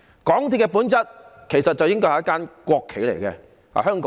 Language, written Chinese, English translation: Cantonese, 港鐵的本質其實是一間"國企"。, Its nature is actually one of a national enterprise